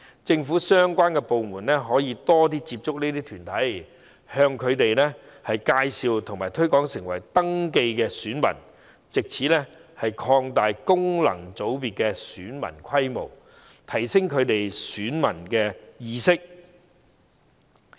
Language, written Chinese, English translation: Cantonese, 政府的相關部門可以更多接觸這些團體，介紹和推廣登記成為選民，藉此擴大功能界別的選民規模及提升他們的選民意識。, Relevant government departments can proactively contact these bodies for introducing and promoting the elector registration thereby broadening the electorate of the said FC and enhancing the elector awareness of these bodies